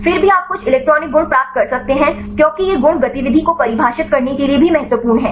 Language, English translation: Hindi, Then also you can get some electronic properties right because these properties are also important right to define the activity